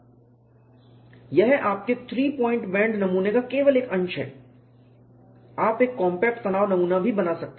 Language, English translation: Hindi, It is only a fraction of your three point bend specimen; you can make a compact tension specimen